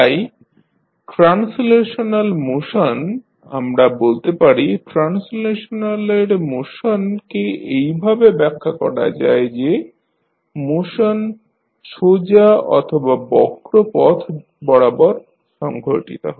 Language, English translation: Bengali, So, the translational motion, we can say that the motion of translational is defined as the motion that takes place along a straight or curved path